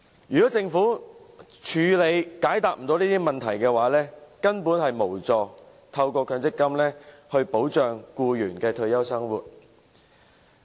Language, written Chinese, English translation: Cantonese, 如果政府不能處理和解答這些問題，根本無助透過強積金來保障僱員的退休生活。, If the Government fails to address and answer these questions MPF is actually not helpful to protecting the retirement life of employees